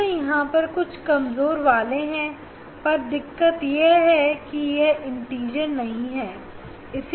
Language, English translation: Hindi, Again, there are some weak a weak one, but it is difficulties is that it is not integer